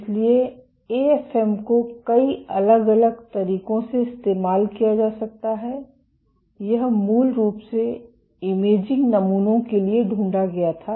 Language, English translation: Hindi, So, AFM can be used in multiple different ways, it was originally discovered for imaging samples